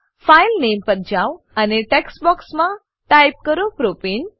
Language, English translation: Gujarati, Go to the File Name and type Propane in the text box